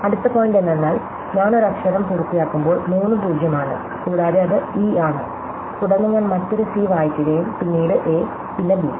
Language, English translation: Malayalam, The next point when I complete the letter is three 0Õs and it is an e, then I read another c and then an a and then a b